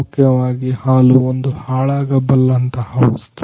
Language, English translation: Kannada, Basically milk is a perishable product